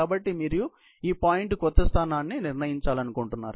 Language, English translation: Telugu, So, you want to determine the new position of this point